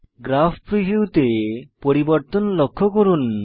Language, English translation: Bengali, Observe all the changes in the Graph preview area